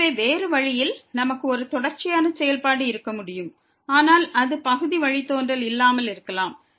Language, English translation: Tamil, So, other way around, we can have a continuous function, but it may not have partial derivative